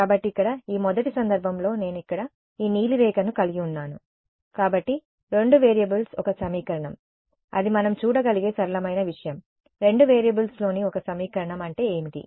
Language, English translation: Telugu, So, this first case over here is where I have this blue line over here; so, two variables one equation that is the simplest thing we can visualize, that one equation in two variables is what a line